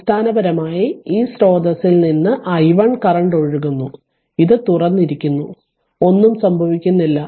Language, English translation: Malayalam, So, basically from this source the current i 1 is flowing this current this is open nothing is going